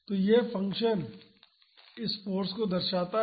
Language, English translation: Hindi, So, this function represents this force